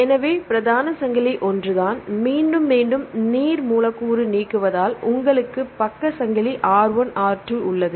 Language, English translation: Tamil, So, the main chain is a same, repetition right there is an elimination of water molecule, and here you have the side chain R1 R2